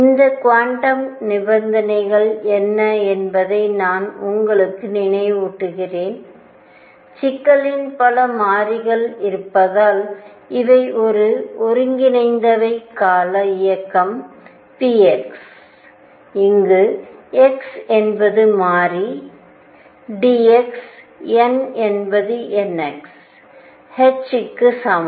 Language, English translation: Tamil, Let me also remind you what were these quantum conditions, or as many variables are there are in the problem, these were that integral over a periodic motion p x, where x is the variable d x is equal to n x h, these were the quantum conditions